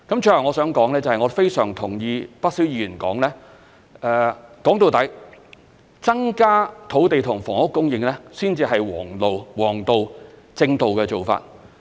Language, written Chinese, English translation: Cantonese, 最後我想說的是，我非常同意不少議員說，歸根究底，增加土地和房屋供應才是王道、正道的做法。, Last but not least quite many Members said that increasing the land and housing supply is the proper and right way to meet our target . I cannot agree more